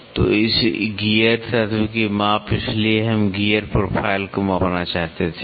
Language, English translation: Hindi, So, measurement of gear element so, we wanted to measure the gear profile